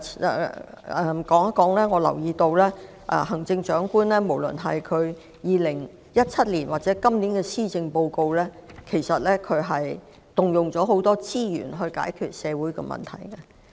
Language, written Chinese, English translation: Cantonese, 另一方面，我留意到無論是在2017年或今年的施政報告中，行政長官均動用了很多資源來解決社會問題。, Meanwhile I notice that the Chief Executive has deployed a great deal of resources to resolve social problems in both the 2017 Policy Address and this years Policy Address